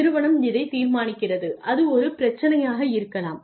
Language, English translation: Tamil, The organization decides this and that can be a problem